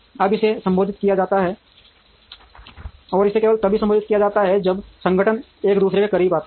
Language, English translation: Hindi, Now, this has to be addressed, and this can be addressed only when organizations come closer to each other